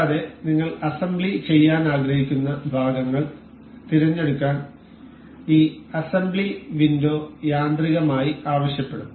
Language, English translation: Malayalam, And this assembly window will automatically ask us to select the parts that have that we wish to be assembled